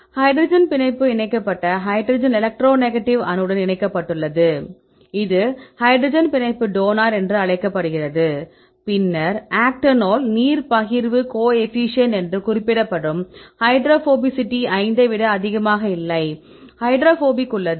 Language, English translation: Tamil, Yeah hydrogen bond attached hydrogen attached with the electronegative atom that is called hydrogen bond donor right which one receives this one is called acceptor then the hydrophobicity that is mentioned as octanol water partition coefficient right that is not greater than 5 we have the hydrophobic